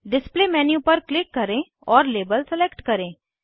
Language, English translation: Hindi, Click on the display menu, and select label